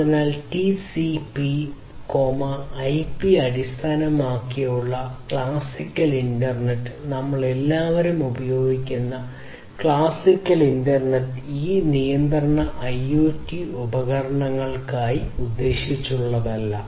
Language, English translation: Malayalam, So, classical internet that the one that is based on TCP IP; the classical internet that we all use is not meant for these constraint IoT devices